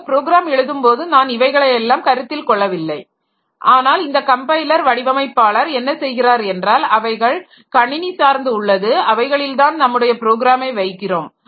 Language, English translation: Tamil, So, while writing programs so we do not take into consideration all these things but what this compiler designers do is that they into they for depending on on the system onto which you are putting your program for which you are developing your program